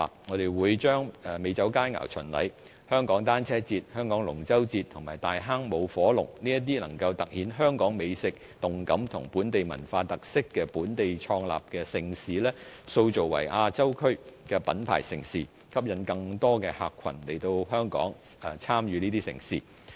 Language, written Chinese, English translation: Cantonese, 我們會將美酒佳餚巡禮、香港單車節、香港龍舟嘉年華及大坑舞火龍這些能夠突顯香港美食、動感及本地文化特色的本地創立的盛事，塑造為亞洲區的品牌盛事，吸引更多客群來香港參與這些盛事。, To attract more visitor groups to Hong Kong we will brand unique events in Hong Kong that showcase our gourmets vibrant lifestyle and local cultural characteristics as mega events of Asia . Examples of such events include the Hong Kong Wine and Dine Festival the Hong Kong Cyclothon the Hong Kong International Dragon Boat Carnival and the Tai Hang Fire Dragon Dance